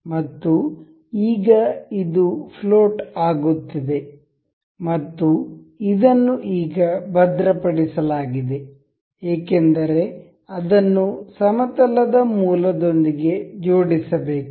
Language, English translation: Kannada, And now because this is now floating, and this is fixed now because it has to be attached with the origin of the plane